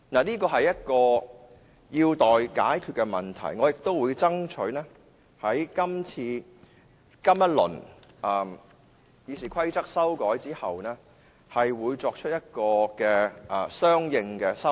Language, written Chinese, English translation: Cantonese, 這是一個有待解決的問題，我也會爭取在這一輪《議事規則》的修訂之後，作出相應的修訂。, These are questions to be resolved . I will also try to propose a consequential amendment after this round of amendments to RoP